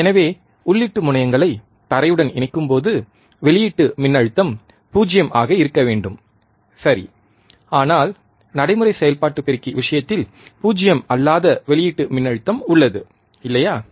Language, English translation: Tamil, So, when the input terminals are grounded, ideally the output voltage should be 0, right, but in case of practical operational amplifier a non 0 output voltage is present, right